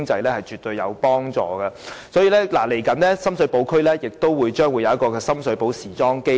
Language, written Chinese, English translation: Cantonese, 因此，接下來，深水埗區將設立深水埗時裝基地。, Hence in a short while a design and fashion hub will be set up in Shum Shui Po